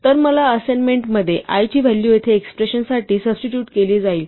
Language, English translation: Marathi, So, in this expression, the value of i will be substituted for the expression i here